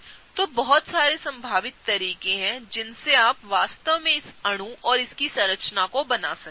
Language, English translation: Hindi, So, there are so many possible ways in which you can really draw this particular molecule and its structure